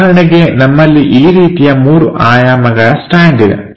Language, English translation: Kannada, For example, we have this 3D kind of stand